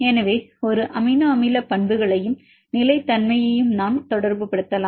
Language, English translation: Tamil, So, we can relates an amino acid properties and the stability